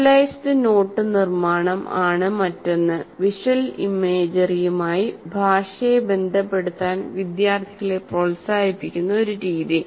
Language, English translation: Malayalam, And another one, visualized not making is a strategy that encourages students to associate language with visual imagery